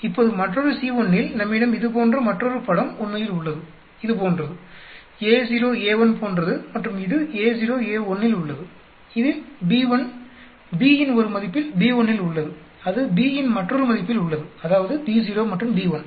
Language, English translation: Tamil, Now at another C1, we have another picture like this actually, like this, like A naught A1 like this and this is for A naught A1 at B1 at this is at B1 at one value of B and that is at another value of B, that is B naught and B 1